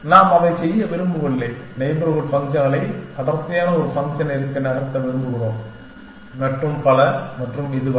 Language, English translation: Tamil, We do not want to do that, we want to starts with neighborhood functions move on to dense a function and so on and so far